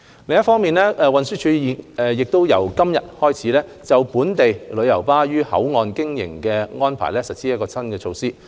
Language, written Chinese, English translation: Cantonese, 另一方面，運輸署已自今天起，就本地旅遊巴於口岸營運的安排實施新措施。, On the other hand the Transport Department TD has implemented new measures concerning the operating arrangements of domestic tour coaches at BCF today 21 November